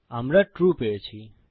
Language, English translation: Bengali, We got True